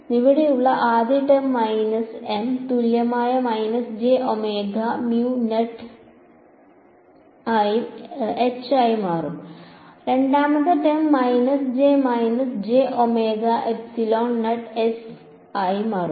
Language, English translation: Malayalam, So, the first term over here will become minus M equivalent minus j omega mu naught H s right the second term becomes what do I have over here minus J and I have a minus j omega epsilon naught s